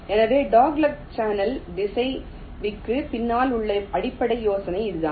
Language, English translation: Tamil, so this is the basic idea behind the dogleg channel router